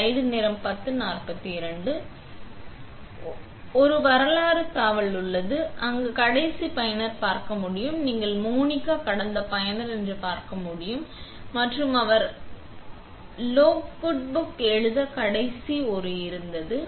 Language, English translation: Tamil, Also, there is a history tab where we can see the last user and you can see that Monica was last user and she was the last one to write on logbook